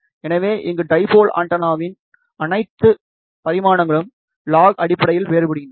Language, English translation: Tamil, So, here all the dimensions of the dipole antenna vary logarithmically